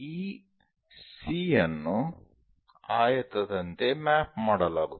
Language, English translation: Kannada, This C will be mapped like a rectangle